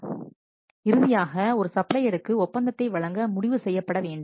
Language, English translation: Tamil, So, finally a decision has to be made to award the contract to a supplier